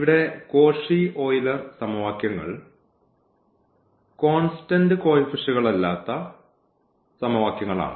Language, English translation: Malayalam, So, here the Cauchy Euler equations are the equations with an on a constant coefficient